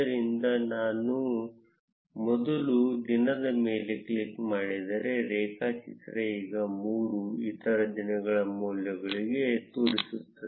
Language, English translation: Kannada, So, if I click on day one, the graph now shows the values for 3 other days